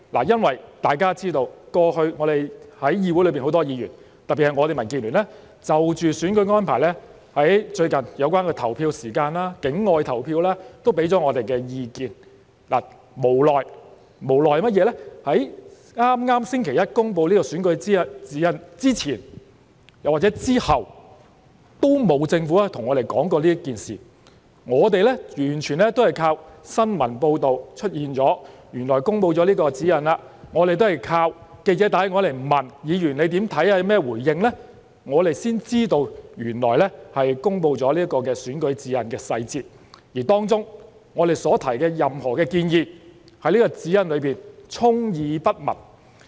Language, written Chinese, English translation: Cantonese, 因為大家知道，過去在議會內很多議員，特別是我們民建聯，都有就着選舉安排，例如投票時間、境外投票等提出意見；但無奈地，在剛剛星期一公布的選舉活動指引之前或之後，政府都沒有跟我們談及此事，而我們是完全依靠新聞報道，才知道原來公布了指引，我們都是靠記者致電詢問我們的看法和回應，我們才知道原來已公布了選舉活動指引的細節，而當中我們所提出的任何建議，政府都充耳不聞，沒有出現在這份指引內。, Because as you know many Members in this Council especially Members from our Democratic Alliance for the Betterment and Progress of Hong Kong have been expressing their views on the electoral arrangements such as the polling hours and external voting arrangement . But unfortunately the Government did not talk to us about this issue before or after the announcement of the Guidelines on Election - related Activities on Monday and we only found out that the Guidelines had been announced through news reports . It was only after we were called by reporters asking for our views and feedback that we learned that the details of the Guidelines on Election - related Activities had been published and that the suggestions put forward by us had fallen on deaf ears and were not incorporated into the Guidelines